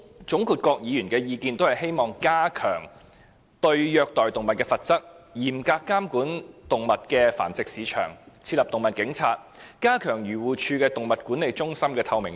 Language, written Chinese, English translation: Cantonese, 總括各議員的意見，都是希望加強對虐待動物的罰則、嚴格監管動物繁殖市場、設立"動物警察"及加強漁農自然護理署動物管理中心的透明度。, In sum Members wish to raise the penalties for animal cruelty tighten the control of animal breeding facilities establish animal police and enhance the transparency of the Animal Management Centres AMCs of the Agriculture Fisheries and Conservation Department AFCD